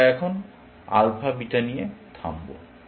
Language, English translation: Bengali, We will stop here now, with alpha beta